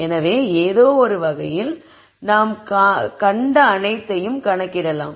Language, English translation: Tamil, So, in some sense we can count all that is there to see